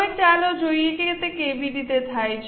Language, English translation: Gujarati, Now let us see how it is done